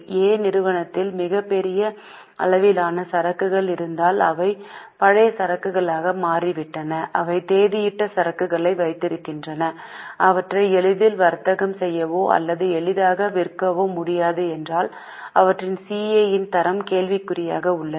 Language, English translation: Tamil, 5 but if company A has very large quantum of inventories which have become old inventories, they have outdated inventories and they cannot be traded easily or sold easily, then the quality of their CA is in question